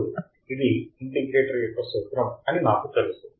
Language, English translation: Telugu, Now, I know that this is the formula for the integrator